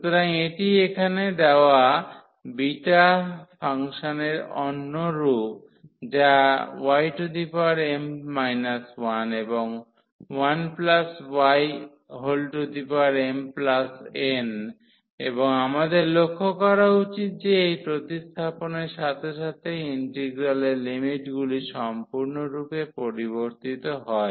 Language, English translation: Bengali, So, this is another form of the beta function given here y power n minus 1 and 1 plus y power m plus 1 and we should note that with this substitution the integral limits change completely